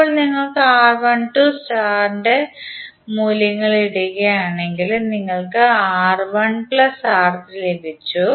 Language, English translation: Malayalam, Now, if you put the values of R1 2 star, we got R1 plus R3